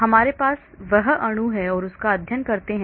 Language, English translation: Hindi, We just have that molecule and study it